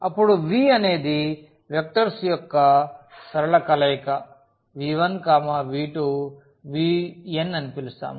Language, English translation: Telugu, Then we call that this v is a linear combination of the vectors v 1, v 2, v 3, v n